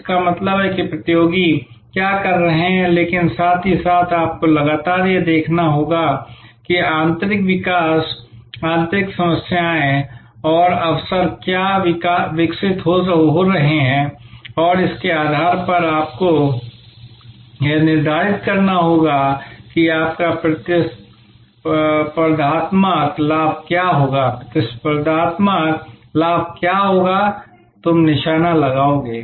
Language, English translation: Hindi, So, outside means what the competitors are doing, but at the same time you have to constantly look at what are the internal developments, internal problems and opportunities that are evolving and based on that you have to determine that what will be your competitive advantage, what competitive advantage you will target